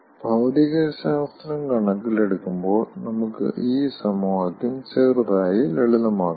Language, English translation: Malayalam, considering the physics of the problem, we can ah, simplify this equation slightly